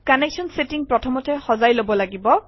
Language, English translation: Assamese, Connection settings have to be set first